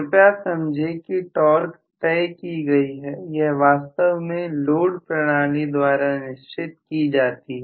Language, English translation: Hindi, Please understand that the torque is set in stone, it is actually demanded by the load mechanism